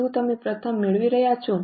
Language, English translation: Gujarati, Are you waiting the first one